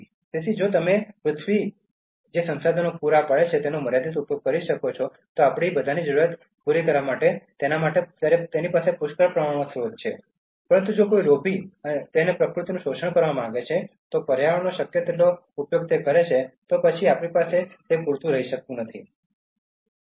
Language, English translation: Gujarati, ” So, if you can make limited use of the resources which earth provides us, to satisfy our need all of us will have in plenty, but if somebody is greedy and wants to exploit nature, use the environment as much as possible, then all of us will not have enough so that is what he is suggesting